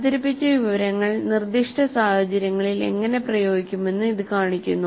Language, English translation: Malayalam, This shows how the presented information is applied to specific situation